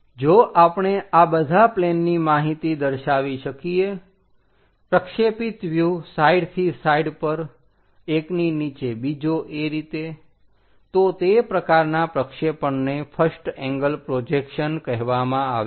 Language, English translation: Gujarati, If we can show all these plane information, the projected views showing side by side one below the other that kind of projection is called first angle projection